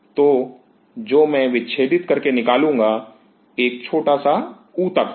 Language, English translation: Hindi, So, what I will be taking out will be a small tissue